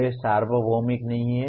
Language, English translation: Hindi, They are not universal